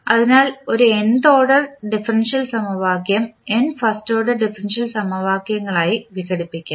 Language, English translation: Malayalam, So, an nth order differential equation can be decomposed into n first order differential equations